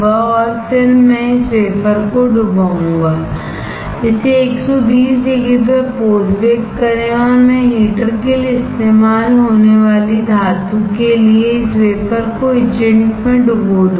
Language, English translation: Hindi, And then I will dip this wafer; post bake this at 120 degree and I will dip this wafer in the etchant for the metal that is used for heater